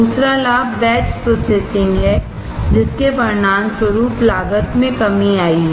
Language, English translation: Hindi, Second advantage is batch processing resulting in cost reduction